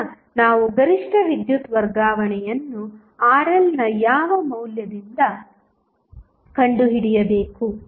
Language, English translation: Kannada, Now, we have to find the maximum power transfer at what value of Rl we get the maximum power transfer